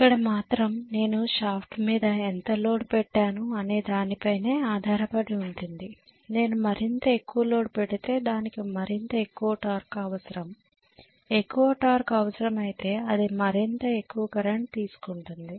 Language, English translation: Telugu, Here it is going to depend upon how much load I have put on the shaft if I put more and more load it will require more and more torque, if it requires more torque it will draw more and more current